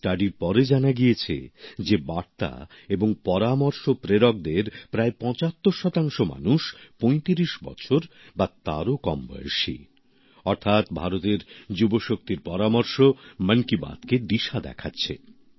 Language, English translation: Bengali, The study revealed the fact that out of those sending messages and suggestions, close to 75% are below the age of 35…meaning thereby that the suggestions of the youth power of India are steering Mann ki Baat